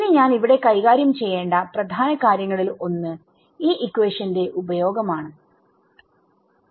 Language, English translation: Malayalam, Now one of the main things that I want to sort of challenge in this section is our use of this equation